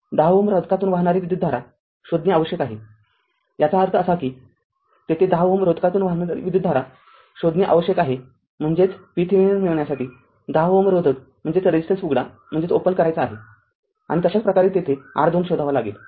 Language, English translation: Marathi, You have to find out the current through 10 ohm resistance; that means, here you have to find out the current through 10 ohm resistance that mean you have to open 10 ohm resistance to get the V Thevenin and similarly you have to find out the R Thevenin there